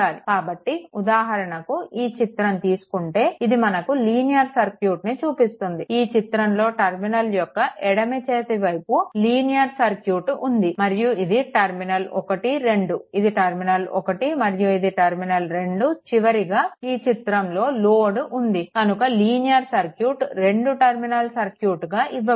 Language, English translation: Telugu, So, for example, suppose this figure this thing it shows a linear circuit that is circuit to the your what you call left of this terminal this side this side left of the terminal this 1 2, this is terminal 1 and 2 in figure your what you call is known as this is a figure, this linear circuit is given two terminal circuit